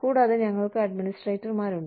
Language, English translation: Malayalam, And, we have administrators